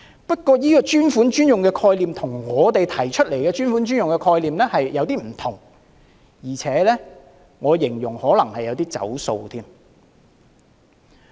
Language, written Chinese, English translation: Cantonese, 不過，這個"專款專用"的概念與我們提出的那個概念稍有不同，而且，我會說這可能有點"走數"之嫌。, Yet this concept of dedicated fund for dedicated use is slightly different from the one we propose and I would say it seems to savour of an intention to renege on the pledge concerned